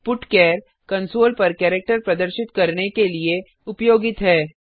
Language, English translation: Hindi, putchar is used to display a character on the console